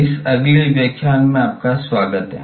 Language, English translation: Hindi, Welcome to this next lecture